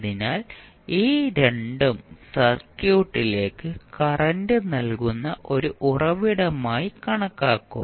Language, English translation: Malayalam, So, these 2 would be considered as a source which provide current to the circuit